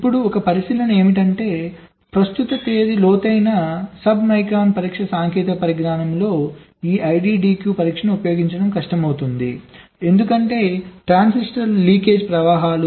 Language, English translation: Telugu, ok, now one observation is that in the present date deep sub micron test technology, this iddq testing ah is becoming difficult to use because the transistor leakage currents